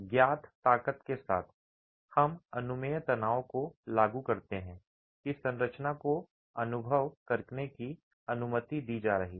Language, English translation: Hindi, With the material strength known, we impose the permissible stress that the structure is going to be allowed to experience